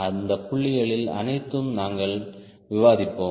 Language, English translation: Tamil, so all those points also we will be discussing